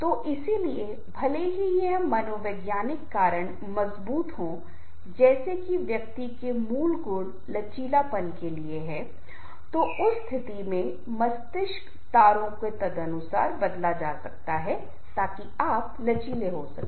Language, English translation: Hindi, so therefore, even if the this psychological factors are strong, like the core qualities of the individual, are there for resilience, then in that case the brain wearing can be changed accordingly so that you can be more resilient too